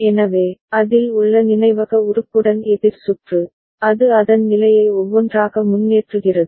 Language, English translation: Tamil, So, the counter circuit with the memory element in it, it advances its state one by one ok